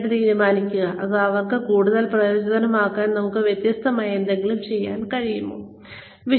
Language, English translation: Malayalam, And then decide, whether we can do anything differently, to make it more worthwhile for them